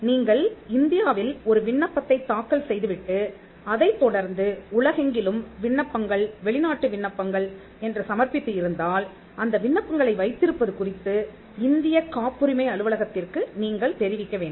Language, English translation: Tamil, If you had filed an application in India and followed it up with applications around the world, foreign applications, then you need to keep the Indian patent office informed, as to, the possession of those applications